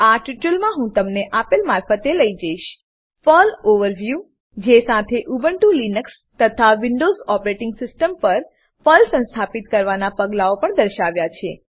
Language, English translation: Gujarati, In this tutorial, Ill take you through * PERL Overview along with Installation steps for PERL on Ubuntu Linux and Windows operating system